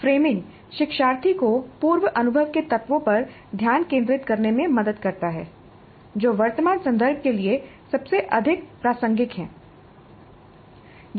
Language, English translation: Hindi, Framing helps in making learner focus on the elements of prior experience that are most relevant to the present context